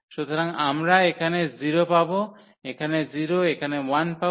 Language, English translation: Bengali, So, we will get 0 there, 0 there, 1 there